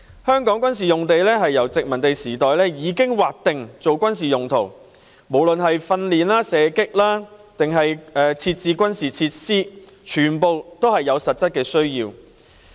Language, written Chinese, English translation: Cantonese, 香港的軍事用地由殖民地時代已經劃定作軍事用途，無論是供一般訓練或射擊練習之用，還是設置軍事設施，全屬實質需要。, Since the colonial era military sites in Hong Kong have been designated for military use be it general training shooting practice or provision of military facilities which are all substantive purposes